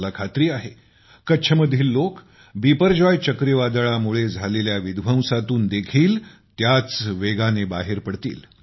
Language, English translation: Marathi, I am sure the people of Kutch will rapidly emerge from the devastation caused by Cyclone Biperjoy